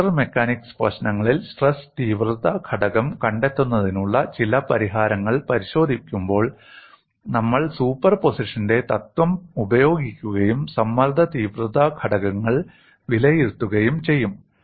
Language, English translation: Malayalam, In fact when we look at certain solutions for finding out, stress intensity factor in fracture mechanics problems, we would employ principle of superposition and evaluate the stress intensity factors